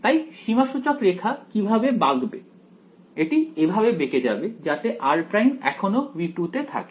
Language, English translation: Bengali, So, which way should the contour bend it should bend in such a way that r prime still belongs to V 2